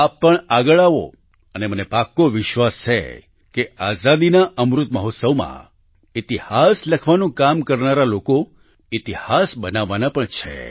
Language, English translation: Gujarati, You too come forward and it is my firm belief that during the Amrit Mahotsav of Independence the people who are working for writing history will make history as well